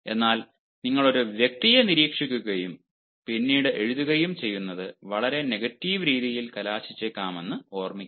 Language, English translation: Malayalam, but remember, if you are simply watching a person and then writing, maybe that can ah result in a very negative manner